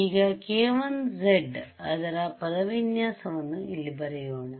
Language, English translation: Kannada, Here right k 1 z has its expression over here